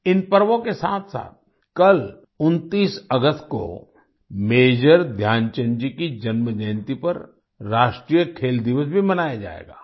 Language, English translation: Hindi, Along with these festivals, tomorrow on the 29th of August, National Sports Day will also be celebrated on the birth anniversary of Major Dhyanchand ji